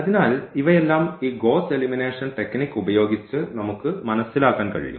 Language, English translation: Malayalam, So, all these we can figure it out with this Gauss elimination technique